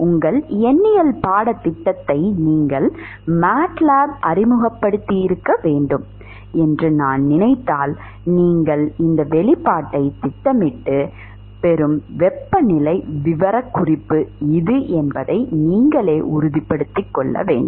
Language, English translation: Tamil, If I think you must be introduce to matlab by now your numerical course, you should take and plot this expression and convince yourself that this is the temperature profile that you will get